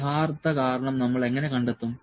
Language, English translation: Malayalam, Actual reason we will find out